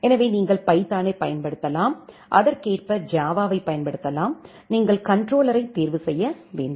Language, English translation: Tamil, So, you can use Python, you can use Java accordingly, you have to choose the controller